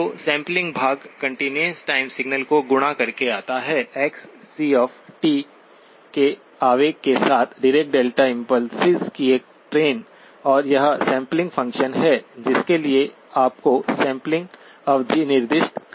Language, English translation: Hindi, So the sampling part comes by multiplying the continuous time signal, Xc of t with an impulse of, a train of Dirac impulses and this is the or the sampling function for which you have to specify the sampling period